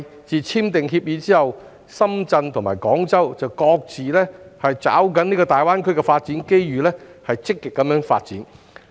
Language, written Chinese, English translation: Cantonese, 自簽訂協議以來，深圳及廣州均各自抓緊大灣區的發展機遇積極發展。, Since the signing of the Agreement both Shenzhen and Guangzhou have been seizing the development opportunities of GBA and taking forward their developments proactively